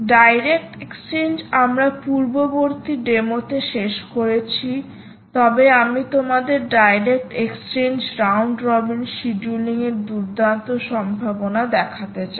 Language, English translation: Bengali, we completed direct exchange in the previous demo, but what we would also like to show you is the nice possibility of direct exchange, round robin scheduling ok, you can do a round robin kind of data